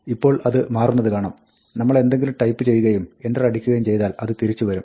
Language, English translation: Malayalam, Now, it so turns out that, if we type something and press enter, it will come back